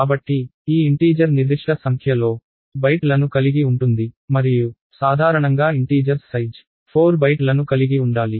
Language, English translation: Telugu, So, this integer is supposed to be of certain number of bytes and usually integers of size 4 bytes